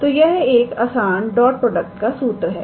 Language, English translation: Hindi, So, this is just some simple dot product formula